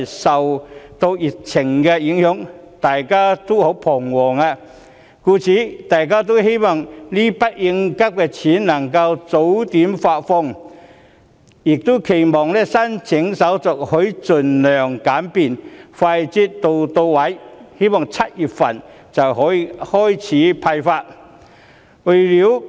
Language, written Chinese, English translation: Cantonese, 受到疫情影響，市民都感到十分彷徨，希望這筆應急錢能夠早點發放，並期望有關申請手續能盡量簡便，快捷到位 ，7 月份便可以開始派發。, Under the impact of the epidemic members of the public are very anxious and hope that the contingency money can be disbursed earlier . Also they expect that the relevant application procedures can be as simple and convenient as possible such that the money can be swiftly disbursed in July